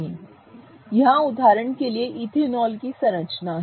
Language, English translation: Hindi, Here is for example the structure of ethanol, okay